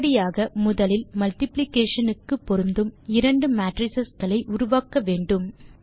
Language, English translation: Tamil, Thus let us first create two matrices which are compatible for multiplication